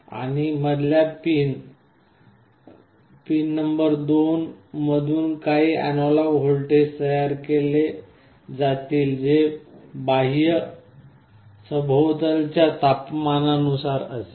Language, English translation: Marathi, And the middle pin number 2 will be generating some analog voltage that will be proportional to the external ambient temperature